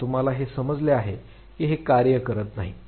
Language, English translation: Marathi, So, you realize that this does not work